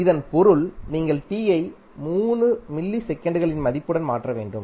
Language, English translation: Tamil, It means you have to simply replace t with the value of 3 milliseconds